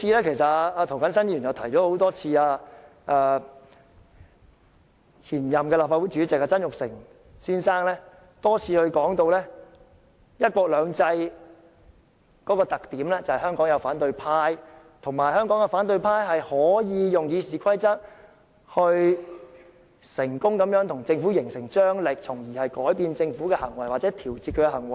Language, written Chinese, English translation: Cantonese, 其實，涂謹申議員已多次提到，前任立法會主席曾鈺成先生也多次提及，"一國兩制"的特點在於香港有反對派，以及香港的反對派能夠運用《議事規則》對政府成功施壓，從而改變或調節政府的行為。, In fact Mr James TO and Mr Jasper TSANG former President of the Legislative Council had mentioned time and again that a characteristic of one country two systems was the presence of the opposition camp in Hong Kong and that the opposition camp could successfully exert pressure on the Government by applying RoP thereby changing or regulating government acts